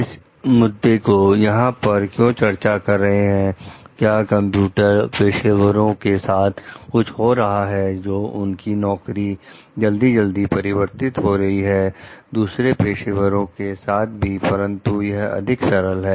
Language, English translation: Hindi, Why going to discuss this issue over here, is sometimes what happens for computer professionals there is a frequent job changes and also maybe for other professionals, but this is more ingenious